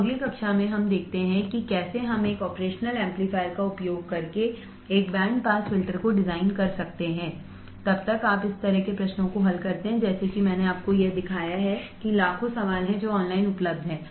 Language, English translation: Hindi, So, in the next class let us see how we can design a band pass filter using an operational amplifier, till then, you solve this kind of questions like what I have shown it to you there are millions of questions that is available online try to solve few more questions and you will get a better idea right